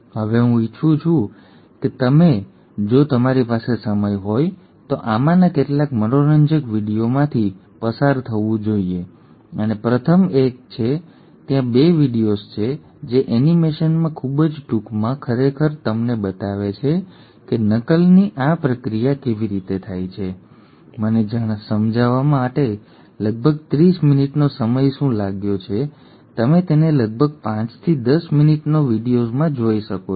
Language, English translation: Gujarati, Now, I would like you to, if you have time, to go through some of these fun videos and the first one is, there are 2 videos which very briefly in animation actually show to you exactly how this process of replication takes place, what has taken me about 30 minutes to explain you can see it in about 5 to 10 minutes video